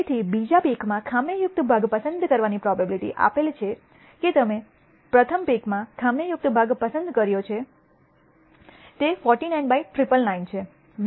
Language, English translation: Gujarati, So, the probability of picking a defective part in the second pick given that you picked a defective part in the first pick is 49 by 999